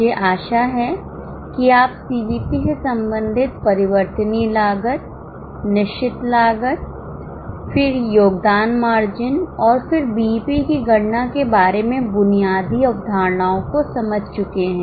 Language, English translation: Hindi, I hope you have understood the basic concepts now relating to, first about variable cost, fixed cost, then the contribution margin and then about the calculation of BEP